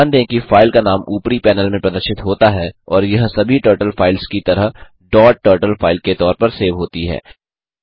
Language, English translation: Hindi, Notice that the name of the file appears in the top panel and it is saved as a dot turtle file like all Turtle files